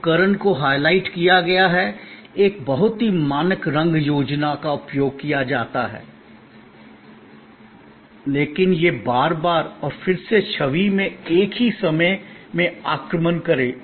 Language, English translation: Hindi, The equipment is highlighted, a very standard colors scheme is used, so that it invokes again and again and again in the same in image